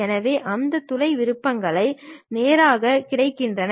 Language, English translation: Tamil, So, that hole options straight away available